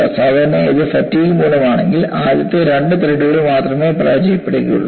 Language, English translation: Malayalam, Usually if it is by fatigue, it would fail only in the first two threads